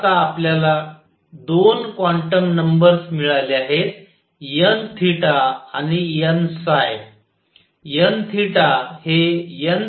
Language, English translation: Marathi, So, this is now we have got 2 quantum numbers, n theta and n phi